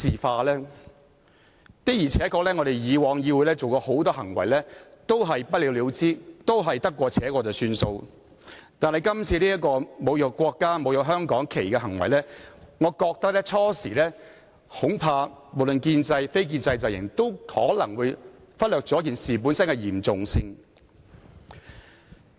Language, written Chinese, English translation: Cantonese, 議會以往對許多議員曾經作出的行為確是不了了之、得過且過，但今次的行為涉及侮辱國家國旗、香港區旗，我恐怕建制及非建制陣營起初均可能忽略了事情的嚴重性。, Regarding the behaviour of Members the legislature had glossed over the matters or sat on them in the past . Yet the behaviour this time around involved desecration of the national flag and the regional flag and I am afraid the pro - establishment camp and the non - establishment camp may have overlooked the severity of the incident initially